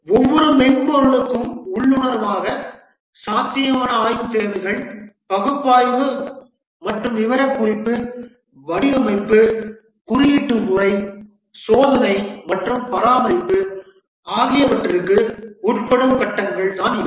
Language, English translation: Tamil, So these are the stages that intuitively every software undergoes the feasibility study, requirements analysis and specification, design, coding, testing and maintenance